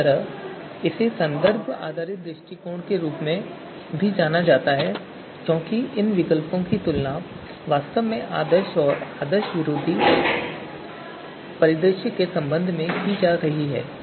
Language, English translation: Hindi, Similarly, it is also referred as reference based approach because these alternatives are actually being compared to with respect to ideal or anti ideal you know scenario